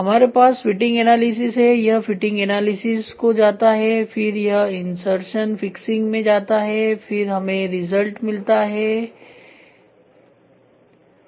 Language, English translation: Hindi, Then we have fitting analysis, this goes fitting analysis and then this goes into insertion fixing and then we have results ok